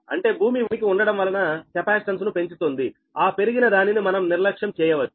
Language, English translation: Telugu, that means presence of earth increase the capacitance, but that increases negligible, right